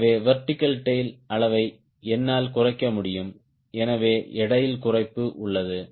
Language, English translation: Tamil, so i can reduce the size of the vertical tail, so there is as reduction in the weight